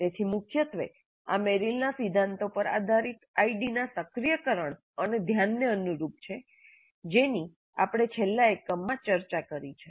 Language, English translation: Gujarati, So primarily this corresponds to the activation and attention of the idea based on Merrill's principles that we discussed in the last unit